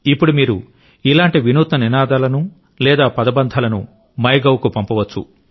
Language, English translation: Telugu, Now you can also send such innovative slogans or catch phrases on MyGov